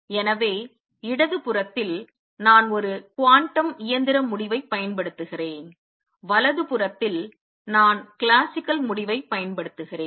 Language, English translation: Tamil, So, on the left hand side, I am using a quantum mechanical result, on the right hand side, I am using the classical result